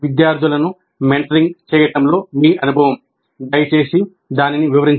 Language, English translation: Telugu, So your experience in mentoring students, please describe that